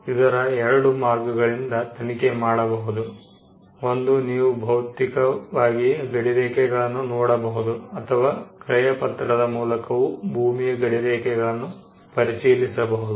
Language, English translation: Kannada, So, two ways to check it; one, you could look physically and check the boundaries, or you could look at the title deed and look for the boundaries of the property